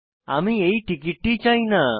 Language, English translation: Bengali, I dont want this ticket